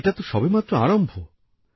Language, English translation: Bengali, And this is just the beginning